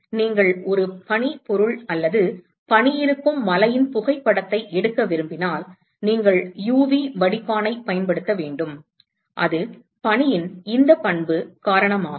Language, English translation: Tamil, So, you have to use a UV filter if you want to capture a photography of a snow object or a mountain which has snow, so that is because of this property of snow